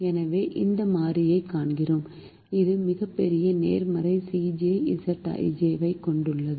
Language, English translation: Tamil, so we find that variable which has the largest positive c j minus z j